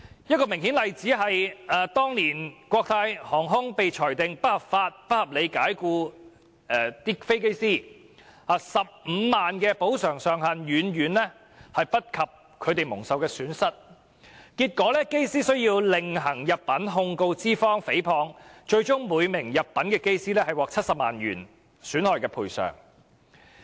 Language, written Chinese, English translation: Cantonese, 一個明顯例子是，當年國泰航空公司被裁定不合理及不合法解僱機師 ，15 萬元的補償上限遠低於機師蒙受的損失，結果機師須另行入稟，控告資方誹謗，最終每名入稟的機師獲得70萬元的損害賠償。, One distinct example is an old case in which Cathay Pacific Airways was ruled to have unreasonably and unlawfully dismissed its pilots . Since the maximum compensation of 150,000 was far less than the losses suffered by the pilots those pilots had to file another case against their employer for defamation . Finally each pilot could obtain an award of damages of 700,000